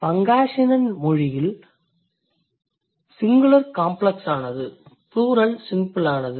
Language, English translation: Tamil, Pangasinen singular is complex, plural is simple